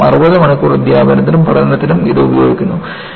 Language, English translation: Malayalam, And, this comes for about 60 hours of teaching and learning